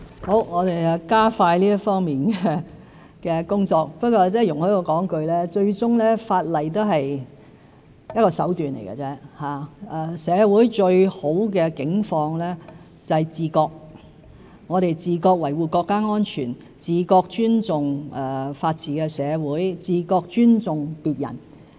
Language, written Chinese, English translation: Cantonese, 好的，我們加快這方面的工作，但容許我說一句，法例最終只不過是一種手段，社會最理想的境況是自覺：我們自覺維護國家安全、自覺尊重法治的社會、自覺尊重別人。, Alright we will expedite the efforts in this regard but please allow me to say that legislation is after all just a means to this end and in an ideal world everyone would take the initiative―we would take the initiative in safeguarding national security respecting the rule of law in society and showing respect for other persons